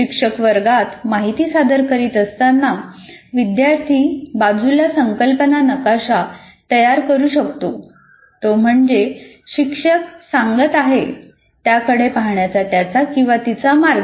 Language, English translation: Marathi, As the teacher is presenting the information in the classroom, I can keep building a concept map on the side, my way of looking at it